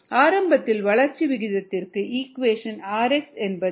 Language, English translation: Tamil, initially we saw expressions for rate of growth: r x equals mu, x